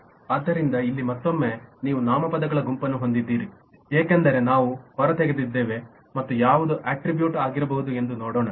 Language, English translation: Kannada, so here on top again you have the set of nouns as we have extracted and let us look at what could be an attribute